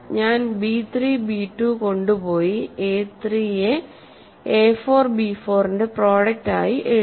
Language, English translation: Malayalam, So, I have carried over b 3 b 2 and written a 3 as a product of a 4 b 4 and then it keeps going